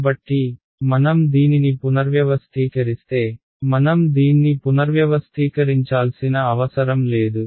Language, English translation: Telugu, So, if I rearrange this I need not rearrange this